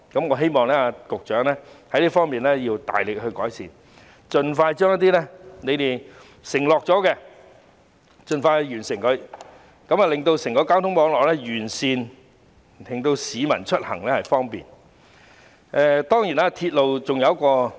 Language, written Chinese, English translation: Cantonese, 我希望局長在這方面要大力改善，盡快實現政府的承諾，完善整個交通網絡，令市民出行更為方便。, I hope that the Secretary will make vigorous improvements in this area to honour the Governments promises as soon as possible to improve the entire transport network for the public to commute more easily